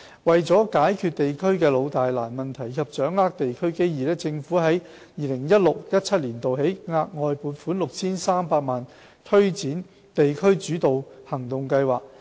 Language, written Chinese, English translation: Cantonese, 為解決地區的"老、大、難"問題及掌握地區機遇，政府在 2016-2017 年度起，額外撥款 6,300 萬元以推展"地區主導行動計劃"。, With a view to tackling district problems which are long - standing immense and difficult and capitalizing on local opportunities the Government has allocated an additional 63 million from 2016 - 2017 onwards to implement the District - led Actions Scheme DAS